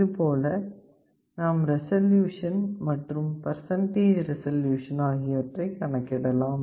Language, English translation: Tamil, In this way you can calculate resolution and percentage resolution